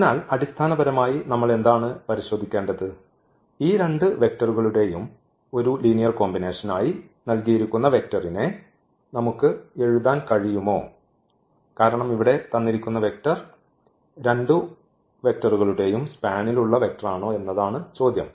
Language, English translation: Malayalam, So, what do we need to check basically can we write this vector as a linear combination of these two vectors because this is the question here that is this vector in the span of the vectors of this